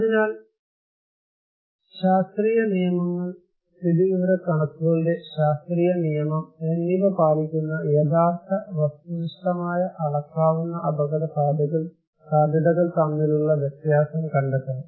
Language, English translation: Malayalam, So, distinction should be made between real, actual, objective measurable risk, which follow the scientific rules, scientific law of statistics